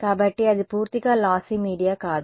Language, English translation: Telugu, So, that is not a purely lossy media right